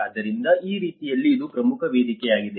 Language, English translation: Kannada, So, in that way this is one of the important platform